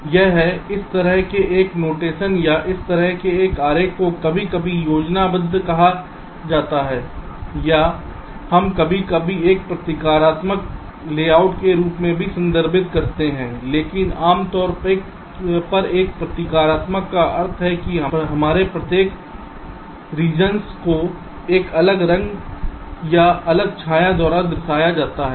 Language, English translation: Hindi, now, this is, ah, this kind of a notation or this kind of a diagram is sometimes called as schematic, or we also sometimes refer to as a symbolic layout, but usually symbolic means each of our regions are represented by either a color or different shade